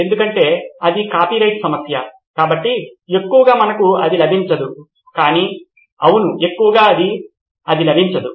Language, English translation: Telugu, Because it is a copyright issue, so mostly we do not get it but… Yes mostly we do not get it